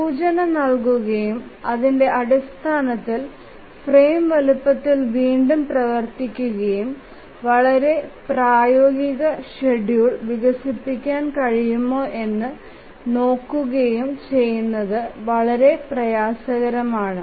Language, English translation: Malayalam, Just given the indication and based on that it don't be really very difficult to again rework on the frame size and see that if a feasible schedule can be developed